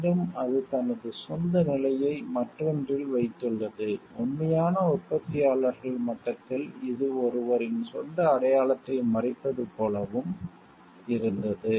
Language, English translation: Tamil, Again it has put his own level on another like, on the real manufacturers level was it also like hiding one’s own identity